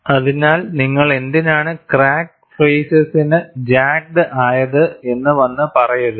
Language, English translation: Malayalam, So, do not come and say, why you put the crack faces are jagged